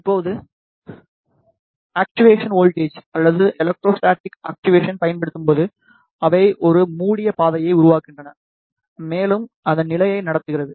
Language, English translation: Tamil, Now, when the actuation voltage or the electrostatic actuation is applied, they forms a closed path and it is in conducting state